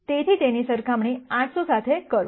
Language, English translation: Gujarati, So, compare that with 800